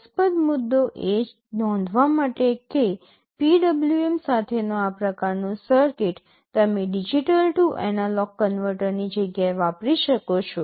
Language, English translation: Gujarati, The interesting point to notice that this kind of a circuit with PWM you can use in place of a digital to analog converter